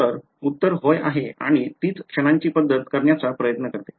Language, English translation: Marathi, So, the answer is yes and that is what the method of moments tries to do